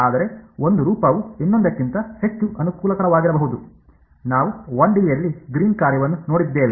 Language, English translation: Kannada, But one form may be more convenient than the other like; we saw the greens function in 1 D